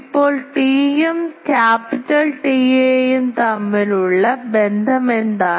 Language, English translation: Malayalam, Now, what is the relation between small t and capital T A